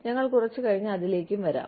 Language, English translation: Malayalam, And, we will come to that, a little later